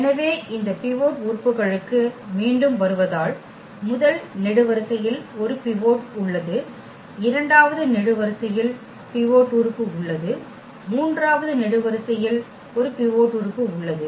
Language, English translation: Tamil, So, getting again back to this pivot elements so, the first column has a pivot, second column has also pivot element and the third column also has a pivot element